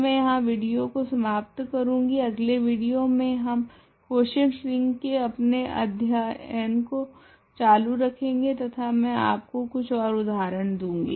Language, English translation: Hindi, So, I going a stop the video here, in the next video we will continue our study of quotient rings and I will give you a few more examples